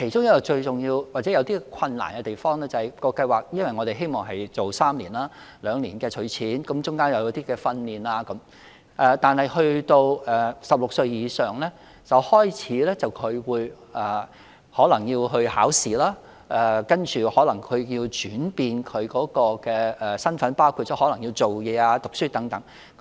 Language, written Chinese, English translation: Cantonese, 當中最重要或有困難的地方在於，因為我們希望計劃為期3年，兩年儲蓄，其間亦提供一些訓練，但當兒童年滿16歲時，便可能開始參與考試，然後身份有所轉變，包括工作或繼續求學等。, The most important or difficult part is that as we hope a project would last for three years during which participants would make savings in two years whereas some forms of training would also be provided . However when children reach the age of 16 they may start to sit for various examinations possibly followed by identity changes such as joining the labour market or continuing with their studies